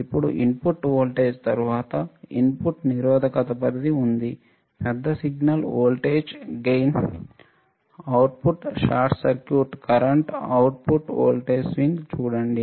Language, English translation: Telugu, Then there is input resistance followed by input voltage range, large signal voltage gain, output short circuit current, output voltage swing see